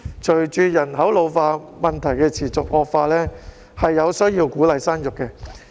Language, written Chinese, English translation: Cantonese, 隨着人口老化的問題持續惡化，我們有需要鼓勵生育。, As the problem of an ageing gets worse we need to encourage childbearing